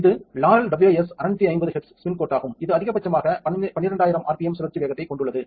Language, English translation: Tamil, This is the Laurell WS 650 HZ spin coat it has a maximum rotational speed of 12000 rpm